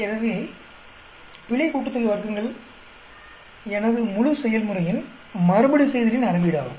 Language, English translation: Tamil, So, error sum of squares is a measure of the repeatability of my entire process